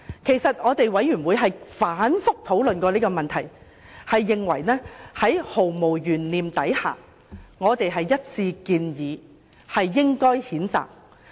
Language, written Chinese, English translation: Cantonese, 其實，調查委員會曾反覆討論這個問題，毫無懸念地一致建議作出譴責。, In fact repeated discussions have been made by IC and members unanimously recommended censure without any doubt